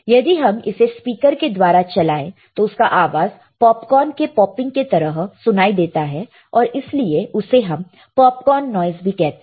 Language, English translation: Hindi, And played through a speaker it sounds like popcorn popping, and hence also called popcorn noise all right